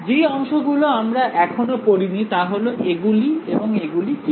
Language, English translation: Bengali, The parts which we have not studied, so far are what are these guys and what are these guys